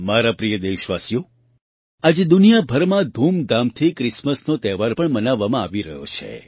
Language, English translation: Gujarati, My dear countrymen, today the festival of Christmas is also being celebrated with great fervour all over the world